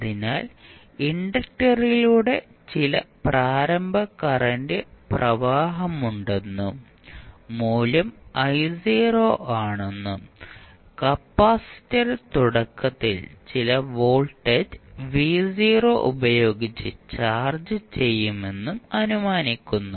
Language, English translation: Malayalam, So, we assume that there is some initial current flowing through the inductor and the value is I not and capacitor is initially charged with some voltage v not